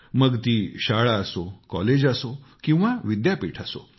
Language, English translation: Marathi, Whether it is at the level of school, college, or university